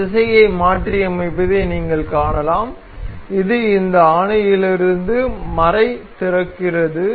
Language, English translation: Tamil, You can also see on reversing this direction this opens the nut out of this bolt